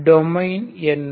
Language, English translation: Tamil, Where is that domain